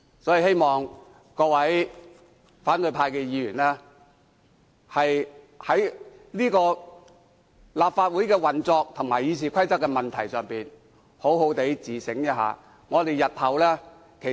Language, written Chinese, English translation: Cantonese, 我希望各位反對派的議員能在立法會運作和《議事規則》的問題上好好自省。, I hope opposition Members will properly reflect on issues concerning Council operation and RoP